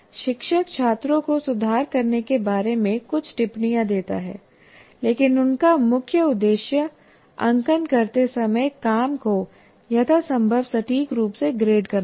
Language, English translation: Hindi, Teacher gives students some comments on how to improve, but her main aim when marking is to grade the work as accurately as possible